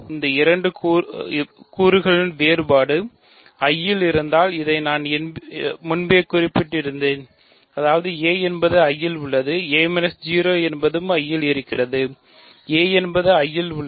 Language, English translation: Tamil, I mentioned this earlier, if the difference of these two elements is in I; that means, a is in I a minus 0 is in I so, a is in I